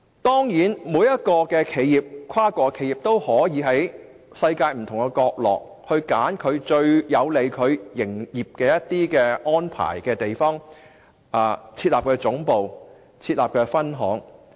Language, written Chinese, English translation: Cantonese, 當然，每一間跨國企業都可以在世界不同國家，選擇對其營業安排最有利的地方設立總部和分行。, Certainly each multinational corporation may choose to set up its headquarter and branches in any country of the world which offers the greatest benefits to the corporation